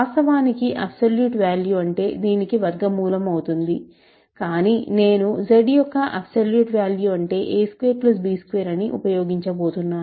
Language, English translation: Telugu, In fact, it is the square root of this maybe, but I am going to use this, absolute value of z is a squared plus b squared